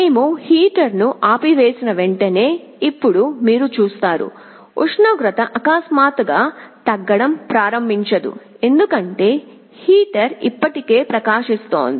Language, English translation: Telugu, Now you see as soon as we turn off the heater, the temperature suddenly does not start to fall because, heater is already glowing